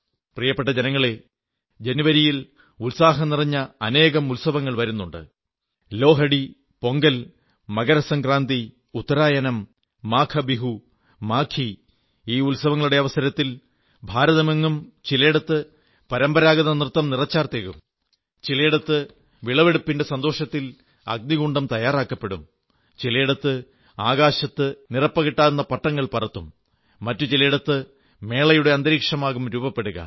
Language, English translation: Malayalam, My dear countrymen, the month of January ushers in many festivals filled with hope & joy such as Lohri, Pongal, MakrSankranti, Uttarayan, MaghBihu, Maaghi; on the occasion of these festivities, the length & breadth of India will be replete… with the verve of traditional dances at places, the embers of Lohri symbolizing the joy of a bountiful harvest at others